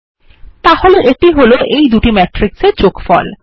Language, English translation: Bengali, So there is the result of the addition of two matrices